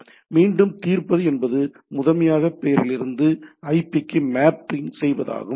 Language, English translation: Tamil, So, again the resolving means primarily mapping from name to IP